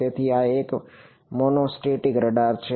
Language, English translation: Gujarati, So, this is a monostatic radar